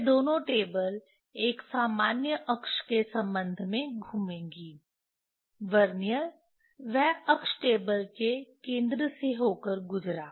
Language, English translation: Hindi, this both table will rotate with respect to a common axis, Vernier that axis passed through the center of the table